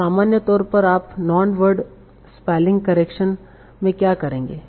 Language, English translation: Hindi, So what in general what you will do in non word spelling correction